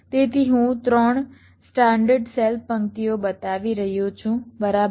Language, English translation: Gujarati, so i am showing three standard cell rows right now